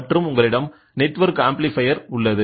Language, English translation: Tamil, So, then you have a network amplifier